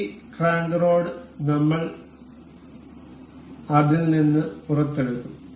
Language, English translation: Malayalam, We will take out this crank rod out of it